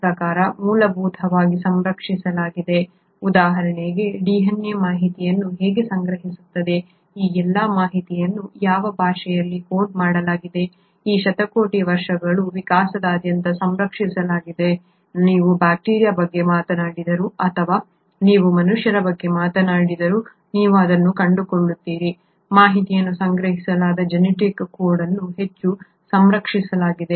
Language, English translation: Kannada, When I meant fundamentally conserved, for example how the DNA will store information, in what language all this information is coded, has remained conserved across these billion years of evolution, whether you talk about bacteria or you talk about human beings, you find that that genetic code by which the information is stored is highly conserved